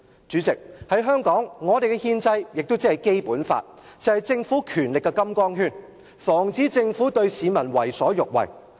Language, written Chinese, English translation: Cantonese, 主席，在香港，我們的憲制文件《基本法》，是政府權力的"金剛圈"，防止政府對市民為所欲為。, President the Basic Law as our constitutional document in Hong Kong imposes a limit to the Governments power and thus preventing the Government from abusing peoples rights